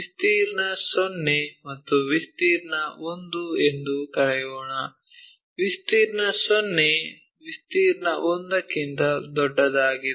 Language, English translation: Kannada, Let us call area naught and area 1, area naught is greater than area 1